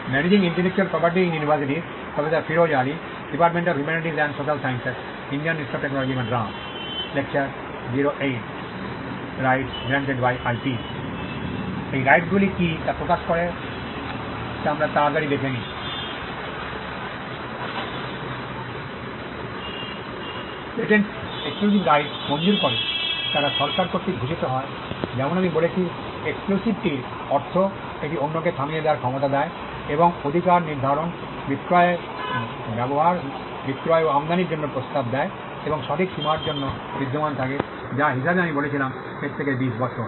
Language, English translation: Bengali, Patents grant exclusive right, they are conferred by the government, as I said exclusivity means it gives the ability to stop others and the right pertains to making, selling, using, offering for sale and importing and the right exist for a time period which as I said is twenty years from the